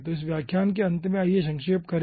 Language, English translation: Hindi, okay, so at the ah end of this lecture let us summarize ah